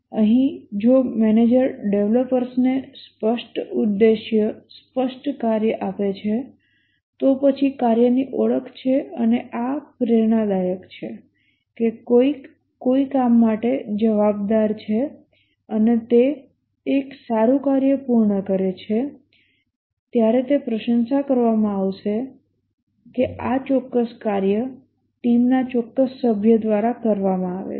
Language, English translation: Gujarati, Here if the manager gives clear objective, clear work to the developers, then there is a task identity and this is a motivator that somebody is responsible for some work and as he completes does a good work, it will be appreciated that this specific work is done by certain team member